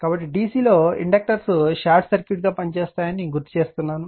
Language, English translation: Telugu, So, this is I have written for you recall that inductors act like short circuit short circuit to dc right